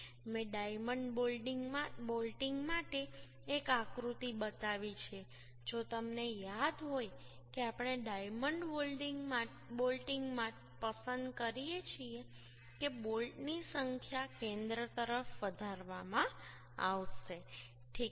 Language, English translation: Gujarati, if you remember that for diamond bolting we prefer diamond bolting, that number of bolts will be increased towards the center